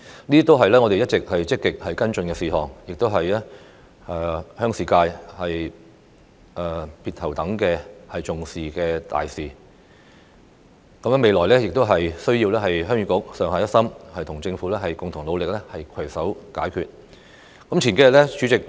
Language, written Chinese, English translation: Cantonese, 這些全是我一直積極跟進的事宜，亦是鄉事界別頭等重視的大事，未來仍需要鄉議局上下一心，與政府共同努力，攜手合作，以求取得成果。, These are all matters that I have been actively following and they are also the key issues taken seriously by the Heung Yee Kuk functional constituency . All Heung Yee Kuk members must be of one mind and work hand in hand with the Government in making joint efforts to achieve success in the future